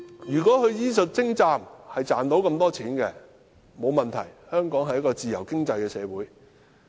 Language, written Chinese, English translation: Cantonese, 如果是因為醫術精湛而賺到這麼多錢，這並無問題，因香港是一個自由經濟社會。, If they earn great sums because of their exquisite medical skills it is not a problem for Hong Kong is a free economy